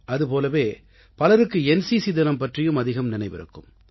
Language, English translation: Tamil, But there are many people who, equally keep in mind NCC Day